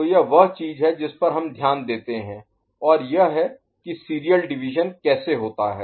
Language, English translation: Hindi, So, this is the thing that we take note of and this is how the serial division takes place ok